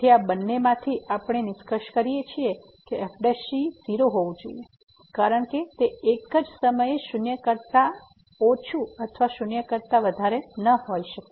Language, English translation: Gujarati, So, out of these two we conclude that the prime has to be because it cannot be less than equal to or greater than equal to at the same time